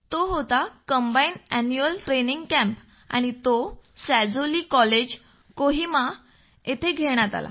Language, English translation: Marathi, It was the combined Annual Training Camp held at Sazolie College, Kohima